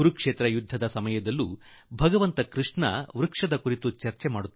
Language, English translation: Kannada, In the battlefield of Kurukshetra too, Bhagwan Shri Krishna talks of trees